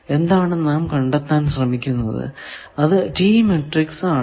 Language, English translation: Malayalam, Now, come to the T matrix